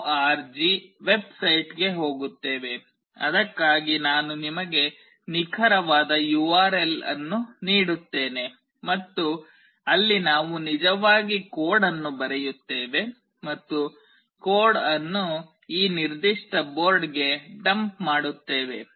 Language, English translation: Kannada, org, I will give you the exact URL for it, and there we actually write the code and dump the code into this particular board